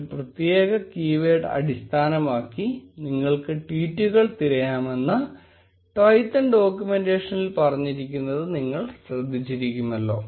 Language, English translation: Malayalam, You will notice that Twython documentation says that you can also search tweets based on a specific keyword